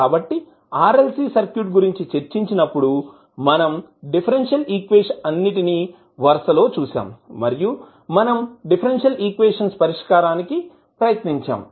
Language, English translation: Telugu, So when we were discussing the RLC circuits we saw that there were differential equations compiled and we were trying to solve those differential equation